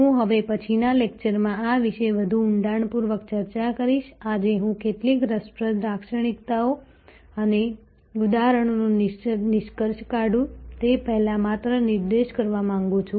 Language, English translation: Gujarati, I will discuss this in greater depth in the next lecture, today I want to just point out before I conclude few interesting characteristics and examples